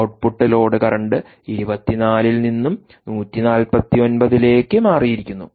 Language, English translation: Malayalam, the load, output, load current, has changed from twenty four to one forty nine